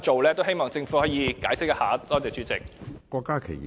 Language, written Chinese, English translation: Cantonese, 我希望政府可以解釋一下，多謝主席。, I hope the Government will explain this . Thank you Chairman